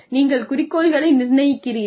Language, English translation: Tamil, You first set goals and targets